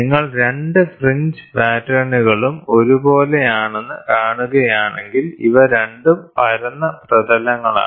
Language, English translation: Malayalam, If you see both the fringe patterns are the same, then these two are flat surfaces